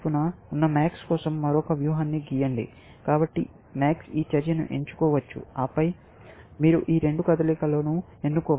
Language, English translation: Telugu, So, max could have chosen this move, and then, of course, you have to choose both these moves